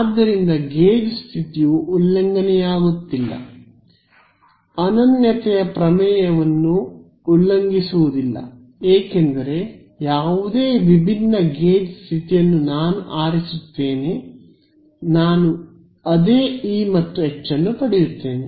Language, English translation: Kannada, So, the gauge condition is not violating the is not violating the uniqueness theorem, because whatever different gauge condition I will choose I get the same E and H